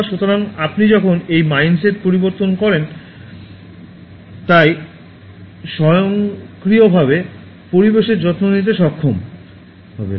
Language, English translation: Bengali, So, when you change to this mind set so automatically will be able to care for the environment